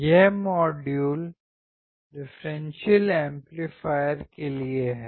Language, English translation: Hindi, This module is for the Differential amplifier